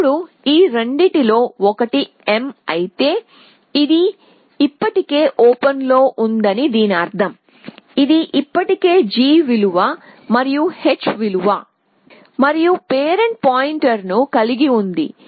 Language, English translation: Telugu, So, now, if this one of these two was m, it means it is on already in open which means it is already has a g value and h value and a parent point